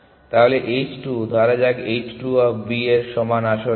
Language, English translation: Bengali, So, h 2 let us say h 2 of B equal to it is actually 50